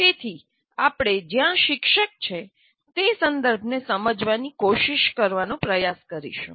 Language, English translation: Gujarati, So we'll try to explore where we try to understand the context in which a teacher is operating